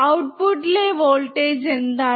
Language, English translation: Malayalam, What is the voltage at the output